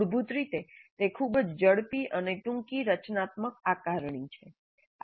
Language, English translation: Gujarati, So basically, it's a very quick and short, formative assessment